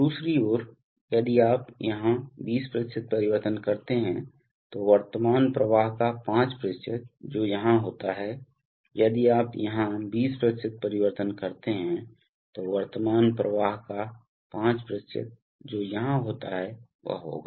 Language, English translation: Hindi, On the other hand if you make a 20% change here, then 5% of the current flow which is here will take place, if you make 20% change here, then 5% of the current flow which is here will take place